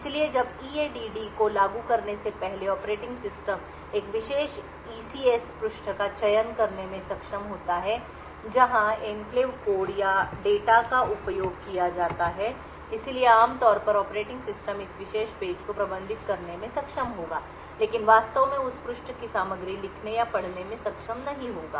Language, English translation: Hindi, So as before when EADD is invoked the operating system would is capable of selecting a particular ECS page where the enclave code or data is used, so typically the operating system would be able to manage this particular page but would not be able to actually read or write the contents of that page